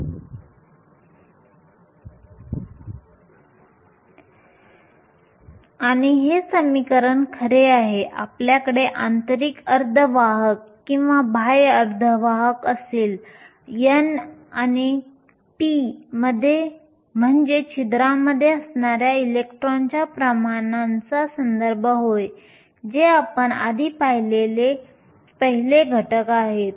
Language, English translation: Marathi, And this equation is true, whether you have an intrinsic semiconductor or an extrinsic semiconductor, n and p refers to the concentration of electrons in holes, which is the first factor that we saw earlier